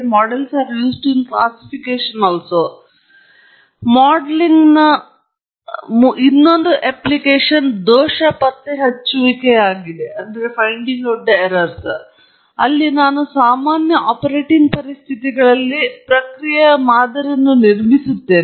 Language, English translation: Kannada, And the third application of modelling is in fault detection, where I build a model of the process under normal operating conditions